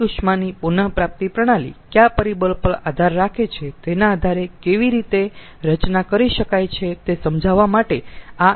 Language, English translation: Gujarati, ah, this is ah some sort of a schematic to explain how waste heat recovery system can be designed, on which factor it depends